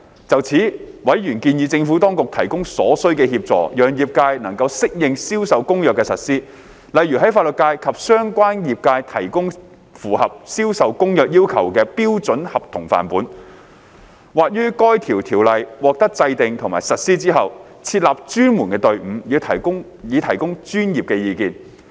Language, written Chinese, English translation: Cantonese, 就此，委員建議政府當局提供所需協助，讓業界能適應《銷售公約》的實施，例如為法律界及相關業界提供符合《銷售公約》要求的標準合同範本，或於該條例獲制定和實施後，設立專門隊伍以提供專業意見。, In this connection members suggested that the Administration should provide the necessary assistance to enable the industry to adapt to the implementation of CISG for example by providing the legal profession and the relevant industries with a standard model contract that would meet the requirements of CISG or by setting up a dedicated team to provide professional advice after the enactment and implementation of the Ordinance